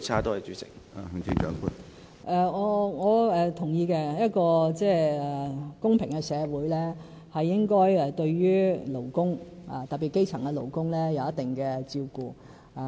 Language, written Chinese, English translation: Cantonese, 我是同意的，一個公平社會，是應該對勞工，特別是基層勞工，有一定的照顧。, I agree that in an equitable society proper attention should be given to workers especially workers of the lower levels